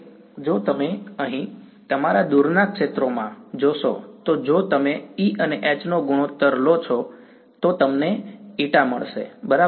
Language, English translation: Gujarati, Yeah, if you look over here in your far fields over here if you take the ratio of E and H you get what eta right